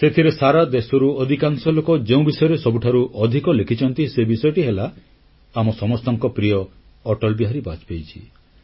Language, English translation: Odia, The subject about which most of the people from across the country have written is "Our revered AtalBehari Vajpayee"